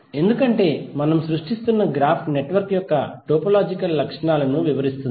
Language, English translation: Telugu, Because the graph what we are creating is describing the topological properties of the network